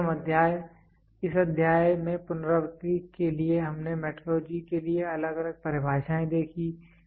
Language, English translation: Hindi, So, to recapitulate in this chapter we saw different definitions for metrology